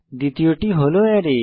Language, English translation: Bengali, 2nd is the Array